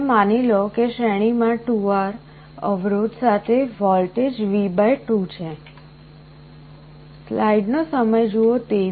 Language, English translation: Gujarati, So, you assume that there is a voltage V / 2 with a resistance 2R in series